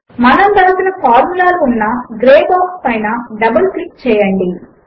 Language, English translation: Telugu, Double click on the Gray box that has the formulae we wrote